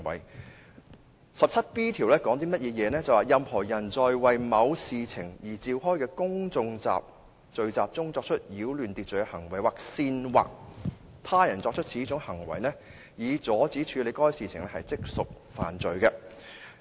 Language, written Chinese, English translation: Cantonese, 第 17B 條訂明"任何人在為某事情而召開的公眾聚集中作出擾亂秩序行為，或煽惑他人作出此種行為，以阻止處理該事情，即屬犯罪"。, 245 which is related to disorderly behaviour in public places . It is stipulated in section 17B that Any person who at any public gathering acts in a disorderly manner for the purpose of preventing the transaction of the business for which the public gathering was called together or incites others so to act shall be guilty of an offence